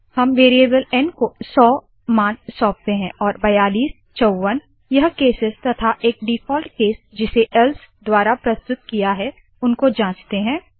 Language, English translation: Hindi, We will assign 100 to a variable n and check the cases 42, 54 and a default case represented by else